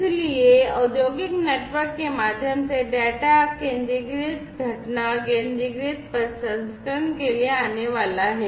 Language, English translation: Hindi, So, through the industrial network the data are going to be coming for centralized event, centralized processing